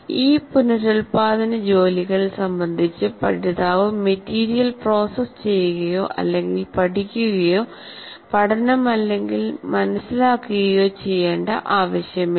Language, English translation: Malayalam, For example, these reproduction tasks do not require the learner to process the material or to apply the learning or even to understand it